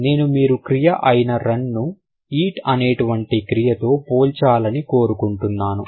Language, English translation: Telugu, I want you to compare a verb like run with a verb like, let's say, um, eat